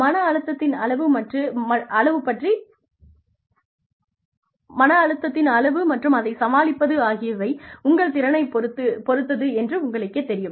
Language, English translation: Tamil, You know, depending on the amount of stress, and your ability to deal with it